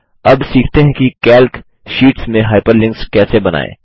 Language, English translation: Hindi, Now, lets learn how to create Hyperlinks in Calc sheets